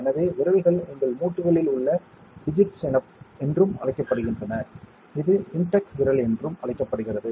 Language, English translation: Tamil, So, fingers are also called digits on your limb, this is called a index finger